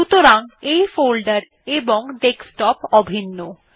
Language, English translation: Bengali, So this folder and the Desktop are the same